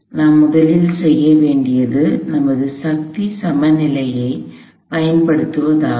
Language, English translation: Tamil, So, the first thing we will do is apply a force balance